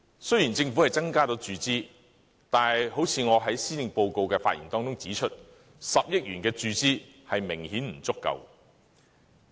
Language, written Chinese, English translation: Cantonese, 雖然政府增加了注資，但正如我在施政報告的發言中指出 ，10 億元的數額明顯不足夠。, Though the Government is going to increase its capital injection this 1 billion is obviously inadequate as I have pointed out in my speech on the Policy Address